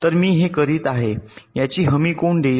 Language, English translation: Marathi, so who will guarantee that